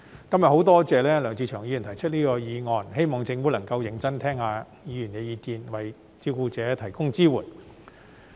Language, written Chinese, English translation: Cantonese, 今天我很多謝梁志祥議員提出這項議案，希望政府能夠認真聆聽議員的意見，為照顧者提供支援。, I am very grateful to Mr LEUNG Che - cheung for proposing this motion today . I hope that the Government can listen carefully to Members views and provide support for carers